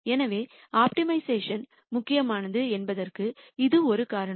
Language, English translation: Tamil, So, that is one reason why optimization becomes important